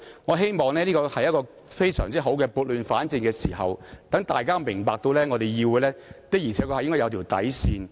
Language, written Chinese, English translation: Cantonese, 我希望這是撥亂反正的好時機，讓大家明白議會的確應有一條底線，不應輕易被漠視。, I hope this is a good timing to right the wrong and to make it known to all that there is a bottom line in the legislature which should not be ignored casually